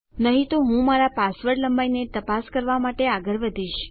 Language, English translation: Gujarati, Otherwise I will proceed to check my password length